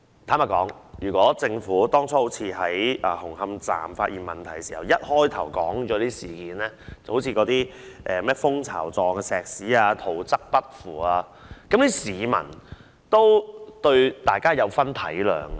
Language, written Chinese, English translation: Cantonese, 坦白說，如果政府當初好像在紅磡站發現問題般，一開始便把問題說出來，例如混凝土呈蜂巢狀和圖則不符等情況，市民也會體諒。, Honestly had the Government revealed the problem right from the outset just as it did when Hung Hom Station was first found to have problems such as honeycomb concrete deviation from the plans and so on the public would have understood it